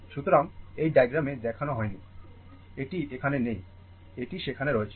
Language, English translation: Bengali, So, not shown in this figure, this is here, it is there